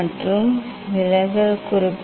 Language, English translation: Tamil, And what is the deviation